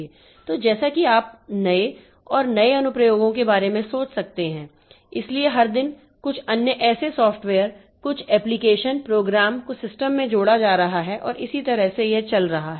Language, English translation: Hindi, So we can so you, so as you can think of newer and newer applications, so every day some something or the other some or some such software some application program is getting added to the system and that way it is going on